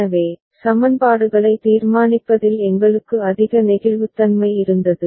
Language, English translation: Tamil, So, we had greater flexibility in deciding the equations